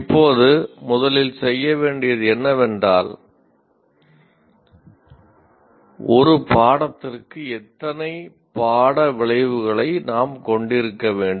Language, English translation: Tamil, Now first thing we will start with is how many course outcomes should we have for a course